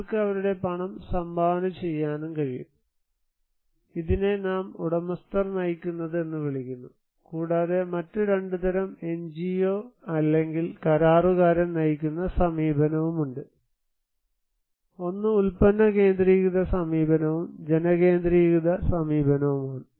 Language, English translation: Malayalam, They can also contribute their money, this is we called owner driven and also there is the kind of NGO or contractor driven approach that can be 2 types; one is product centric approach and people centric approach